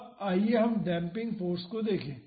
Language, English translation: Hindi, Now, let us see the damping force